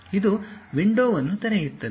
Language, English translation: Kannada, It opens a window